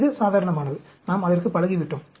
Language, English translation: Tamil, This is the normal, we are used to it